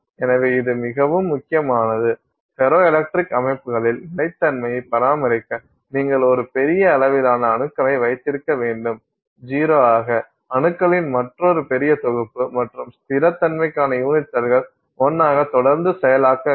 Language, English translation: Tamil, It turns out that in ferroelectric systems you need to have a little larger collection of atoms for the stability to be maintained as a zero, another larger collection of atoms and therefore unit cells for the stability to be maintained as 1